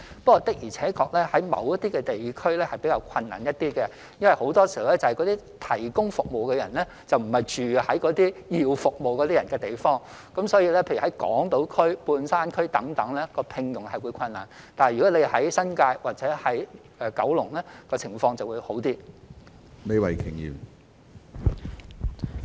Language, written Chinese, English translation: Cantonese, 不過，的而且確，在某些地區是比較困難一點，因為那些提供服務的人並非住在需要服務的人居住的地區，例如在港島區、半山區等聘用家庭傭工會比較困難，但在新界或九龍，情況會比較好。, But it is indeed more difficult to provide these services in certain districts because the service providers do not live in the districts where the service receivers are . For instance it is more difficult to find a domestic helper to work on Hong Kong Island or at Mid - levels but it is easier to find one to work in the New Territories or on Kowloon side